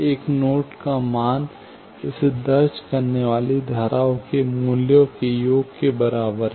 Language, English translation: Hindi, Value of a node is equal to the sum of the values of the branches entering it